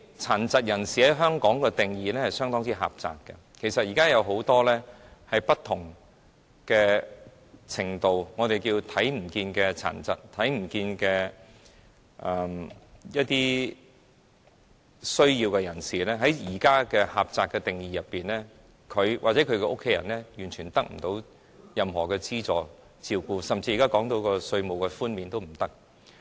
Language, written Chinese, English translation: Cantonese, 殘疾人士在香港的定義相當狹窄，其實現時有很多不同程度或情況的殘疾，或我們稱之為"看不見的殘疾"或看不見的有需要人士，而根據現時狹窄的定義，他們或他們的家人完全得不到任何資助和照顧，甚至現在討論的稅務寬免也不能令他們受惠。, Actually there are different degrees or circumstances of disability . Or we call some of them invisible disability or invisible needy . However according to the narrow definition now they or their family members can get no assistance and care at all even the tax concessions that we are discussing now cannot benefit them